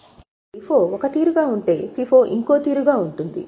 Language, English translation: Telugu, Now, LIFO is one extreme, FIFO is another extreme